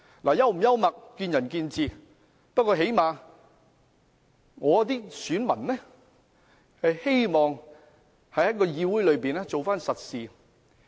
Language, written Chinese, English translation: Cantonese, 是否幽默見仁見智，不過最低限度我的選民希望我在議會做實事。, Whether this is humorous is merely a matter of opinion . However at least my voters hope that I can do real work in the Council